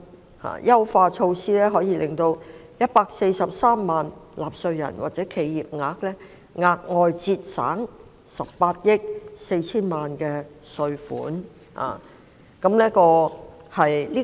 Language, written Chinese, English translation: Cantonese, 這項優化措施可令143萬名納稅人或企業額外節省18億 4,000 萬元稅款。, This enhanced measure will enable 1.43 million taxpayers or enterprises to benefit from a further saving of 1.84 million